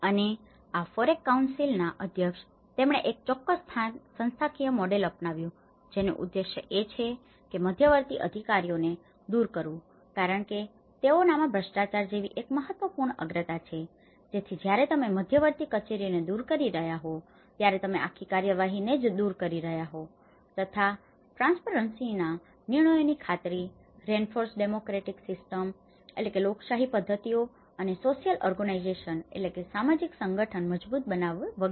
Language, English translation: Gujarati, And, the president of this FOREC council, he adopted a certain institutional model which has an objectives, one is eliminate intermediate officers because corruption is an important priority so that when the moment you are eliminating the intermediate offices you are eliminating the whole procedure itself, guarantee the transparency the decisions, reinforce democratic systems and social organization